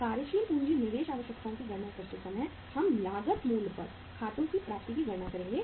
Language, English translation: Hindi, While calculating the working capital investment requirements we will count the accounts receivables at the cost price